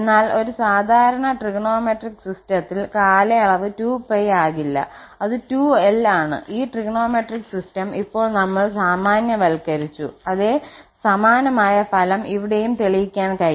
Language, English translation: Malayalam, But for a rather general trigonometric system where the period is not 2 pi but it is 2l, we can also prove the same similar result that this trigonometric system and now we have generalize the system